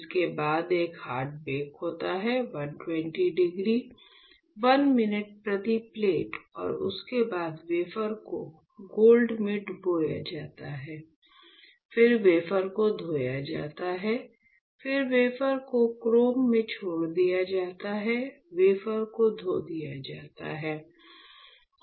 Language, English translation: Hindi, So, after this of course; there is a hard bake, 120 degrees 1 minute per plate followed by dipping the wafer in the gold etchant, then rinsing the wafer, then leaving the wafer in chrome etchant, rinsing the wafer